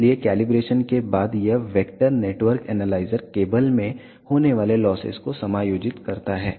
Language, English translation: Hindi, So, after doing calibration this vector network analyzer accommodate the losses in the cable